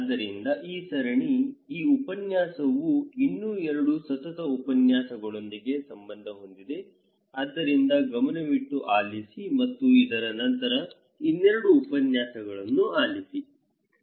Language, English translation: Kannada, So, this series; this lecture would be in relationship with another two successive lectures, so please stay tuned and listen the other two lectures after this one, okay